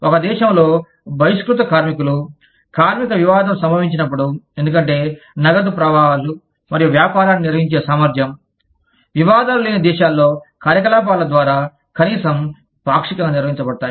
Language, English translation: Telugu, Outlast workers, in the event of a labor dispute, in one country, because cash flows, and the ability to maintain business, are at least partially maintained by operations in countries, where there are no disputes